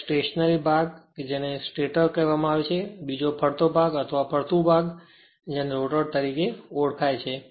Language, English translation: Gujarati, 1 is stationeries part that is called stator another is rotating part or revolving part, we call it as rotor right